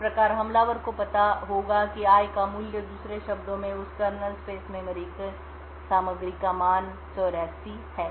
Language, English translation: Hindi, Thus, the attacker would know that the value of i in other words the contents of that kernel space memory has a value of 84